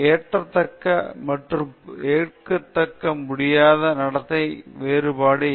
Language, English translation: Tamil, How to distinguish between acceptable and unacceptable behavior